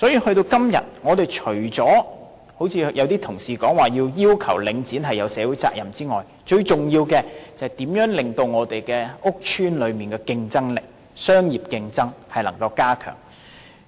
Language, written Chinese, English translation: Cantonese, 到了今天，我們除了一如部分同事所說般應要求領展承擔社會責任之外，最重要的是如何加強屋邨的商業競爭力。, As things have come to the present state apart from calling on Link REIT to take up its social responsibilities as some colleagues have suggested it is most important to identify ways to upgrade the business competitiveness of public housing estates